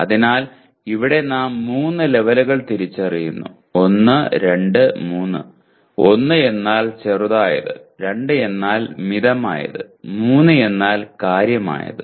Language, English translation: Malayalam, So here we just identify three levels; 1, 2, 3; 1 means slightly, 2 means moderately, 3 means significantly